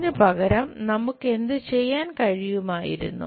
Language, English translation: Malayalam, Instead of that, what we could have done